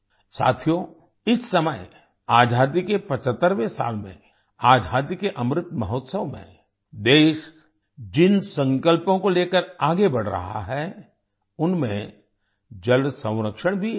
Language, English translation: Hindi, Friends, at this time in the 75th year of independence, in the Azadi Ka Amrit Mahotsav, water conservation is one of the resolves with which the country is moving forward